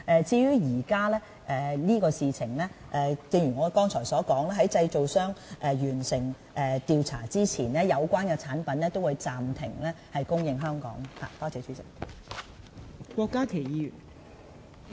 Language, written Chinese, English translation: Cantonese, 至於現時此事，正如我剛才所說，在製造商完成調查之前，有關的產品也會暫停在香港供應。, In regard to this matter as I said earlier before completion of the manufacturers investigation the supply of the product will be temporarily suspended in Hong Kong